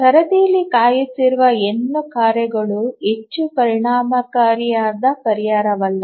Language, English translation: Kannada, If there are n tasks waiting in the queue, not a very efficient solution